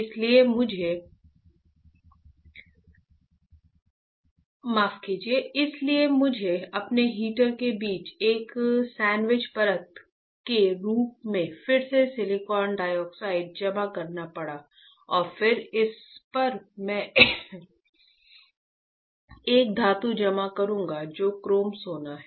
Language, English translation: Hindi, That is why I had to again deposit silicon dioxide as a sandwich layer between my heater and then on this I will deposit I will deposit a metal which is my chrome gold, alright